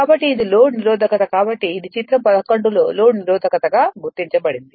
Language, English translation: Telugu, So, this is my this is our load resistance therefore, this is it is marked also load resistance right this in figure 11